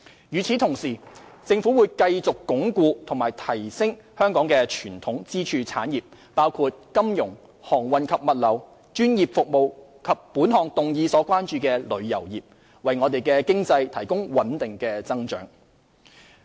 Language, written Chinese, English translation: Cantonese, 與此同時，政府會繼續鞏固和提升香港的傳統支柱產業，包括金融、航運及物流、專業服務及本項議案所關注的旅遊業，為我們的經濟提供穩定的增長。, In the meantime the Government will continue to consolidate and enhance the traditional pillar industries of Hong Kong including the finance services industry maritime and logistics industries professional services industry and the tourism industry which is the concern of the present motion to maintain steady economic growth